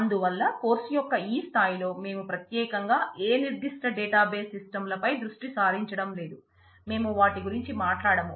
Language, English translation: Telugu, So, at this level of the course since we are not focusing particularly on any specific database systems, we will not talk about those